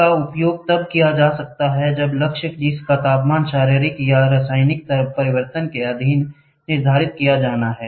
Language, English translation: Hindi, This can be used when the target whose temperature is to be determined is subjected to physical or chemical change, right